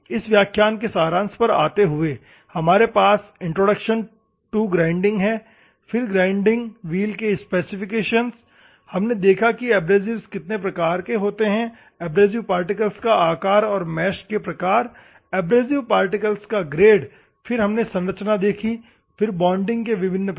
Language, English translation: Hindi, Coming to the summary of this class, we have introduction to the grinding, then the grinding wheel specification; we have seen what is type of abrasive, size of the abrasive particles and types of mesh, grade of the abrasive particle then we have seen the structure, then what type of bonding we have seen